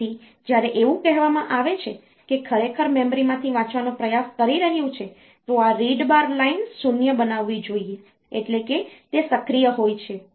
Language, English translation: Gujarati, So, when it is say really trying to read from the memory, then this read bar line should be made 0 that is it is active